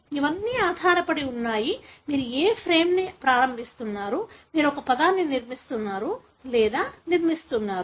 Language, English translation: Telugu, It all depends, which frame you are beginning, you are making the construct or constructing a word